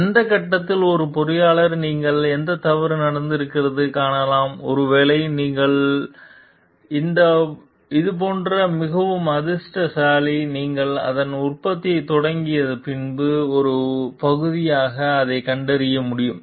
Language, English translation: Tamil, As a engineer at whatever stage you find any fault is happening maybe it is you are much lucky like this has you are able to detect it as a part of before its started for production